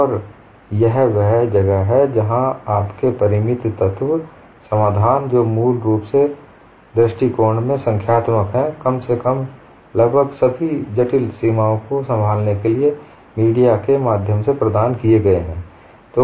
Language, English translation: Hindi, And this is where your finite element solutions, which are basically numerical in approach, provided a via media, to handle complex boundaries at least approximately